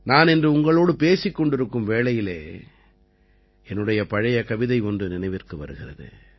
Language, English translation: Tamil, When I am talking to you today, I am reminded of a few lines of an old poem of mine…